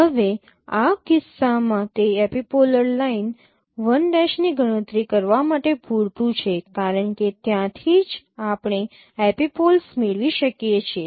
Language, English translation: Gujarati, Now in this case it is sufficient to compute the you know epipolar line L prime because from there itself we can get the epipoles